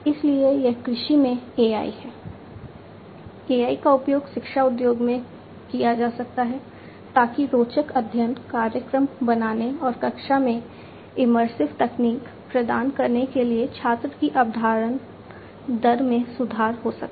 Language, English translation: Hindi, So, that is the AI in agriculture, AI could be used in education industry to improve the student retention rate for making interesting study programs and for providing immersive technology into the classroom